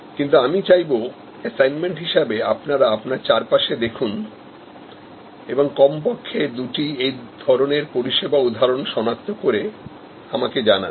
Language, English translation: Bengali, But, I would like you as your assignment to identify and tell me at least two such service instances that you see around you